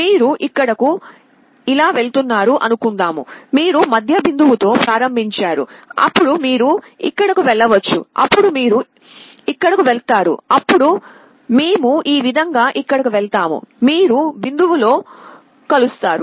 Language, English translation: Telugu, You start with the middle point, then maybe you will be going here, then you will be going here then we will be going here like this; you will be converging to the point